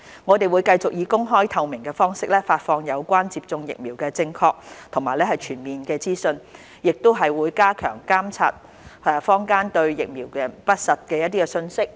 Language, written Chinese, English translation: Cantonese, 我們會繼續以公開、透明的方式發放有關接種疫苗的正確和全面資訊，亦會加強監察坊間對疫苗的不實信息，有需要時會立刻澄清。, We will continue to disseminate accurate and comprehensive information on COVID - 19 vaccination in an open and transparent manner . We will also step up monitoring of false information on vaccines within the community and make clarifications as necessary